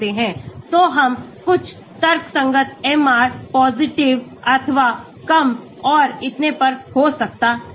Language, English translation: Hindi, So, we can have some rational MR positive or low and so on